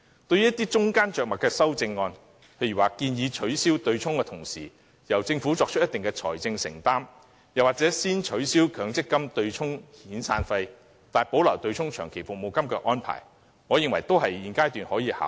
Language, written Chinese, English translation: Cantonese, 對於一些中間着墨的修正案，例如建議取消對沖機制的同時，由政府作出一定的財政承擔，又或是先取消強積金對沖遣散費，但保留對沖長期服務金的安排，我認為現階段均可考慮。, As for some middle - of - the - road amendments such as those proposing abolishing the offsetting mechanism in tandem with a certain financial commitment made by the Government or abolishing the arrangement of offsetting severance payments with MPF contributions but retaining the arrangement of offsetting long service payments with MPF contributions I think these amendments can be considered at the present stage